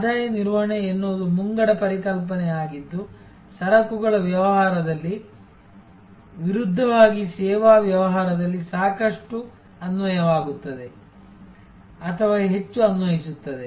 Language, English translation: Kannada, Revenue management is an advance concept, quite applicable or rather more applicable in the services business as oppose to in the goods business